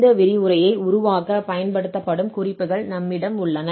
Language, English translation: Tamil, Well, so here, we have these references which are used for preparing this lecture